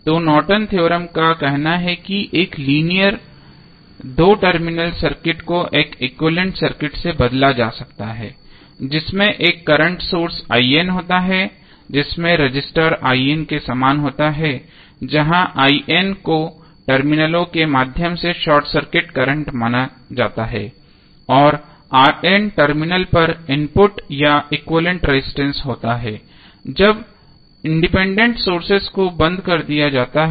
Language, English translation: Hindi, So, Norton's Theorem says that a linear two terminal circuit can be replaced by an equivalent circuit consisting of a current source I N in parallel with resistor R N where I N is consider to be a short circuit current through the terminals and R N is the input or equivalent resistance at the terminals when the independent sources are turned off